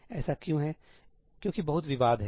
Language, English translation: Hindi, Why is that because there is a lot of contention